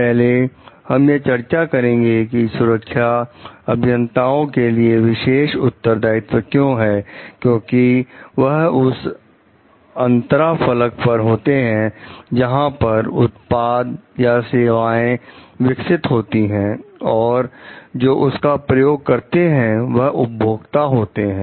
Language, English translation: Hindi, First we will try to discuss like why safety is a special responsibility for the engineers, because they are at the interface where a product or a service is getting developed and the users are using it beneficiaries are using it